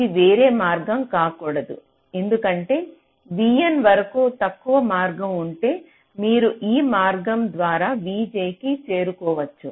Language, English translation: Telugu, only it cannot be some other path, because if there is a shorter path up to v n, then you could have reached v j via that path